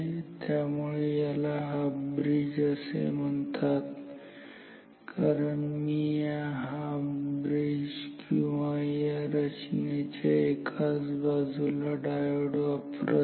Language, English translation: Marathi, So, this is why its called half bridge, because I am using diodes only for one side of this bridge or this square I mean structure